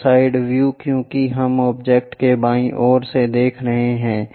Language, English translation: Hindi, And this side view because we are looking from left side of the object